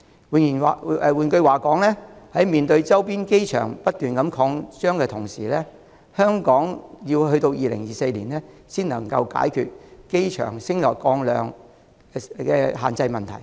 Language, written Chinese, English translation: Cantonese, 換言之，在面對周邊機場不斷擴張的同時，香港要於2024年後才能解決機場升降量限制的問題。, In other words while facing continuous expansion of neighbouring airports Hong Kong will not be able to resolve the problem of limited aircraft movements until 2024